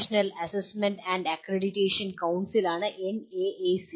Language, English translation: Malayalam, NAAC is National Assessment and Accreditation Council